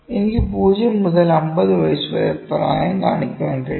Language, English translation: Malayalam, I can show age from 0 to 50 years, ok